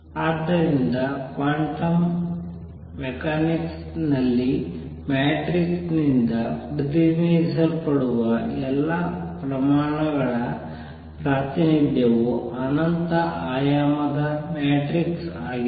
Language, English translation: Kannada, So, necessarily all the quantities that are represented by matrix in quantum mechanics the representation is an infinite dimensional matrix